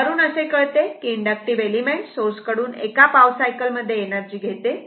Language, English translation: Marathi, The implication is that the inductive element receives energy from the source during 1 quarter of a cycle